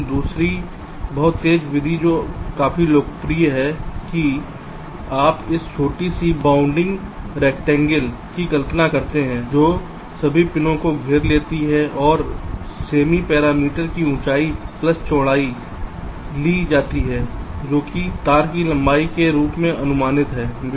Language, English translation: Hindi, but the other very fast method which is quite popular, is that you imagine this smallest bounding rectangle that encloses all the pins and take the semi parameter height plus width